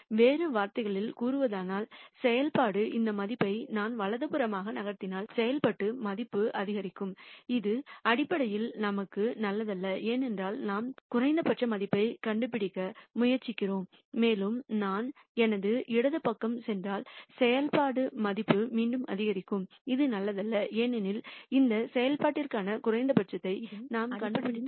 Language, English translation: Tamil, In other words if I am here and the function is taking this value if I move to the right the function value will increase which basically is not good for us because we are trying to nd minimum value, and if I move to my left the function value will again increase which is not good because we are nding the minimum for this function